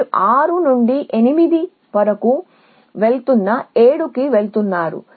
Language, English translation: Telugu, going to 7 where you going from 6 you going from 6 to 8